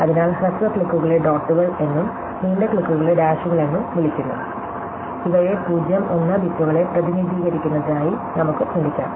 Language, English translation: Malayalam, So, the short clicks are called dots and the long clicks called dashes, we can as well think of them as representing the bits 0 and 1